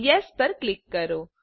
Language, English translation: Gujarati, Click on Yes